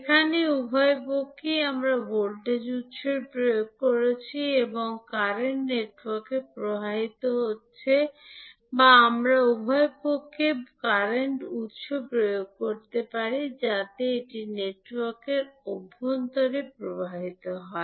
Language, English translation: Bengali, Here at both sides we are applying the voltage source and the current is flowing to the network or we can apply current source at both sides so that it flows inside the network